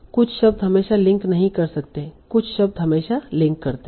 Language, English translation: Hindi, Some words may not link, may not always link, some words always link